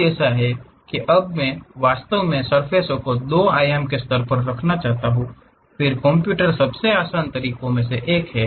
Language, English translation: Hindi, Something like that now I want to really put surface in that at 2 dimension level, then how does computer the one of the easiest ways is